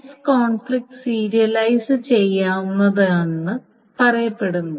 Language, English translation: Malayalam, So S is not conflict serializable